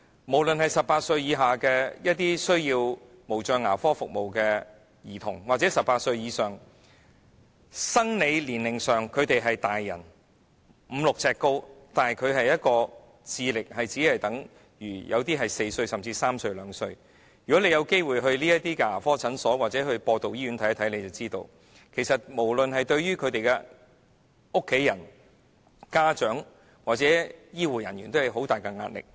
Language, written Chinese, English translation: Cantonese, 無論是18歲以下需要無障牙科服務的兒童或18歲以上，即生理年齡上是成年人，身高已經有五六呎，但智力卻只相等於4歲，甚至3歲或2歲兒童的人，如果大家有機會到這些牙科診所或播道醫院看看便知道，其實無論是對於他們的家人、家長或醫護人員，均構成很大的壓力。, Be it children aged 18 years who need special care dentistry or people aged 18 years or above that is people whose physical age is that of a grown - up and who are already five feet six inches tall but whose intelligence is only equal to that of a four - year - old or even a three - year - old or two - year - old if Members have the opportunity to go to these dental clinics or the Evangel Hospital to take a look they will know that their family members parents and health care workers are all bearing a great deal of pressure